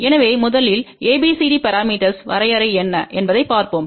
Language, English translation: Tamil, So, let us first look at what is the definition of the ABCD parameter